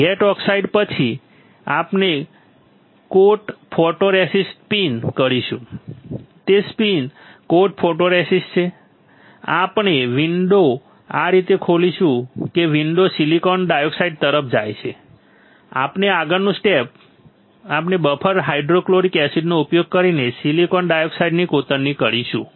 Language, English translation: Gujarati, After gate oxide we will spin coat photoresist, it is spin coat photoresist, we will open the window like this such that the window goes all the way to the silicon dioxide and the next step we will etch the silicon dioxide by using buffer hydrofluoric acid